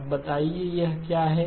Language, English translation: Hindi, Now tell me what is this